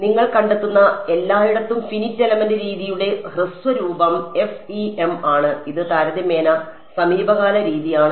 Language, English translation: Malayalam, So, the short form for finite element method everywhere you will find is FEM and it is a relatively recent method